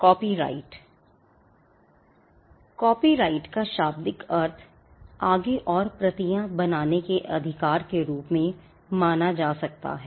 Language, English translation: Hindi, Copyright: Copyright can literally be construed as the right to make further copies